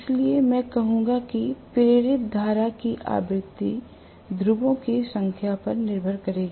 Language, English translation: Hindi, So, I would say the frequency of the induced current will depend upon the number of poles